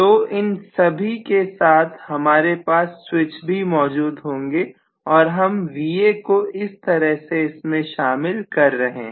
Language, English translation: Hindi, So I am going to have switches right across each of these and I am including this as my Va